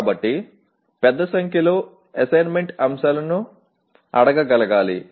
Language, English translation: Telugu, So, one should be able to ask a large number of assessment items